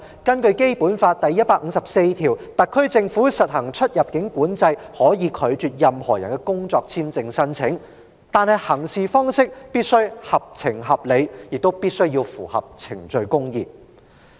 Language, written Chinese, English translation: Cantonese, 根據《基本法》第一百五十四條，特區政府實行出入境管制，可以拒絕任何人的工作簽證申請，但行事方式必須合情合理，亦必須符合程序公義。, According to Article 154 of the Basic Law the SAR Government may apply immigration controls and can refuse any persons work visa application; yet the practice must be sensible and reasonable and must comply with procedural justice